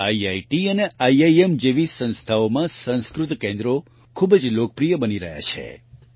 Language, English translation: Gujarati, Sanskrit centers are becoming very popular in institutes like IITs and IIMs